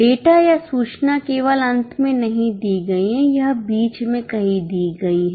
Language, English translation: Hindi, The data or the information is not given just in the end, it is given somewhere in between